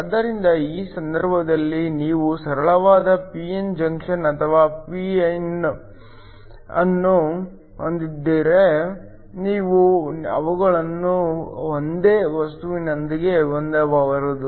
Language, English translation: Kannada, So, These cases whether you have a simple p n junction or a pin you could have them of the same material